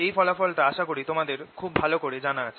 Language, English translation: Bengali, this is a result that you know very well